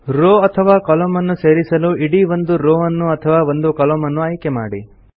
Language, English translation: Kannada, Choose Entire Row or Entire Column option to add a row or a column